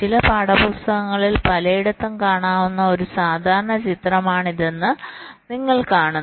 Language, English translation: Malayalam, you see, this is a typical picture that will find in several places in some textbooks also